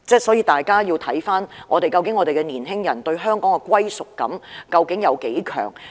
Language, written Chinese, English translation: Cantonese, 所以，大家要思考一下，究竟年輕人對香港的歸屬感有多強？, Therefore we must ponder how strong young peoples sense of belonging to Hong Kong is